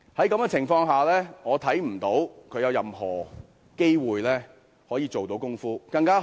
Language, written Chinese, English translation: Cantonese, 在這情況下，我看不到她有任何機會可以做到甚麼。, In this circumstance I cannot see that she has any opportunity of achieving anything